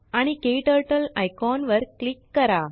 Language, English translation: Marathi, And Click on the KTurtle icon